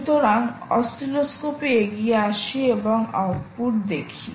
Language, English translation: Bengali, so let's move on to the oscilloscope and see the output